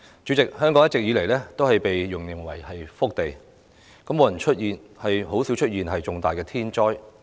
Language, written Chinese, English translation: Cantonese, 主席，香港一直被形容為福地，很少出現重大天災。, President Hong Kong has always been described as a blessed land where major natural disasters rarely occur